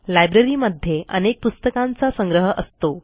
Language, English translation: Marathi, A library can be a collection of Books